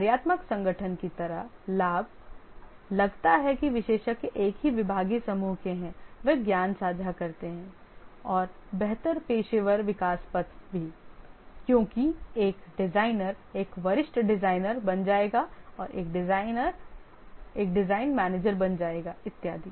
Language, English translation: Hindi, Advantage just like the functional organization, since the experts belong to the same department or group, the share knowledge and also better professional growth path because a designer will become a senior designer, become a design manager and so on